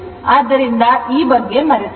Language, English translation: Kannada, So, forget about this